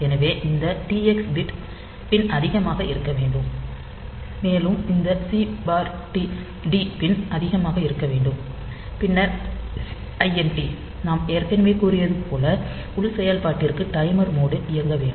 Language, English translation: Tamil, So, this T x pin should be high then and this C/T pin should be high, and then for INT as I have already said that for internal operation when it is operating in the timer mode